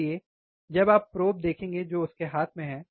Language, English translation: Hindi, So, when you see that you will see the probe, which is holding in his hand